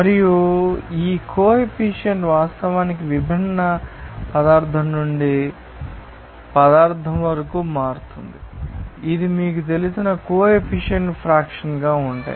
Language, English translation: Telugu, And these coefficients actually vary from substance to substance for different substance this you know coefficients will be different